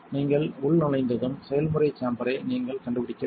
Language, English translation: Tamil, Once you are logged in you should be inventing the process chamber